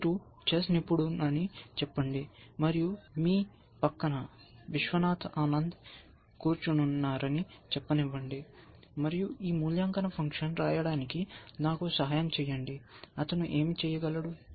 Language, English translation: Telugu, Let say you are a chess expert and All right, let say you have Viswanathan Anand sitting next to you, and you say help me write this evaluation function, what could he say